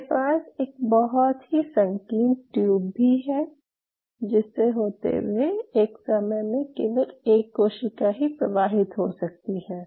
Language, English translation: Hindi, So, I have something like this a very narrow tube through which only one cell at a time can flow